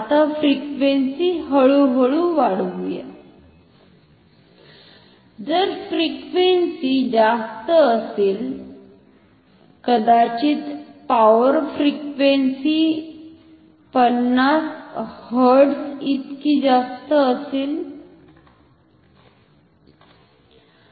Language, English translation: Marathi, Now, let us increase the frequency slowly, if the frequency is high, maybe as high as power frequency 50 Hz